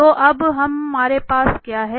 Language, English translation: Hindi, So, what we have now